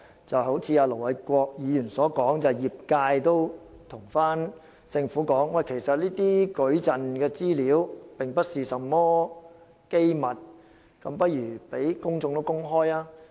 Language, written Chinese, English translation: Cantonese, 正如盧偉國議員所說，業界已向政府反映矩陣的資料其實並非機密，不如向公眾公開。, As Ir Dr LO Wai - kwok said the industry has conveyed to the Government that information in the matrix should be open to the public as they are actually not confidential